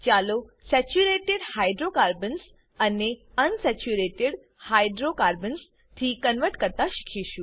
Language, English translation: Gujarati, Let us learn to convert Saturated Hydrocarbons to Unsaturated Hydrocarbons